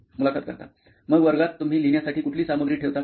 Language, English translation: Marathi, So in classroom do you carry any kind of material to write